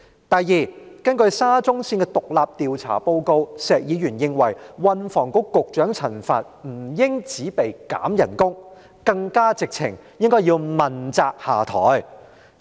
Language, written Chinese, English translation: Cantonese, 第二，根據沙中綫工程獨立調查報告，石議員認為運輸及房屋局局長陳帆不應只被削減薪酬，更簡直要問責下台。, Secondly according to the report of the independent inquiry into the construction works of the Shatin to Central Link SCL Mr SHEK considered that the Secretary for Transport and Housing Mr Frank CHAN should not only have his pay reduced but should even be held accountable and step down